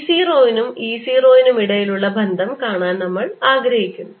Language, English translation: Malayalam, and we want to see the relationship between b zero and e zero